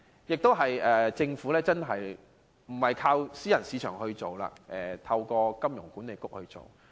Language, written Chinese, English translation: Cantonese, 年金計劃不是由私營市場推行，而是透過香港金融管理局營運。, The proposed annuity scheme will be operated by the Hong Kong Monetary Authority HKMA instead of being privately - run